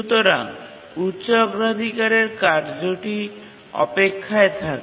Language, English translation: Bengali, So, the high priority task keeps on waiting